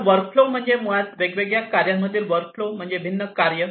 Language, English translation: Marathi, So, workflow is basically the workflow among the different tasks that flow of different tasks